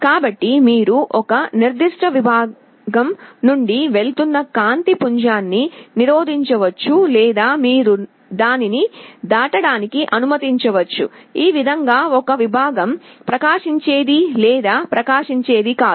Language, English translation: Telugu, So, you can either block the beam of light passing through a particular segment or you can allow it to pass, in this way a segment is either glowing or a not glowing